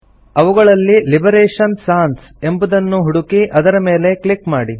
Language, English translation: Kannada, Search for Liberation Sans and simply click on it